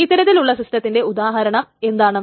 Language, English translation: Malayalam, So what are examples of these kinds of systems